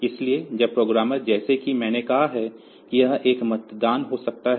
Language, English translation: Hindi, So now, it now the programmer are as I said that it may be a polling